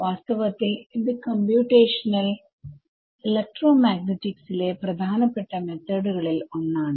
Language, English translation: Malayalam, It is in fact, one of the most popular methods in Computational Electromagnetics right